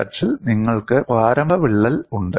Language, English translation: Malayalam, On the negative x axis, you have the initial crack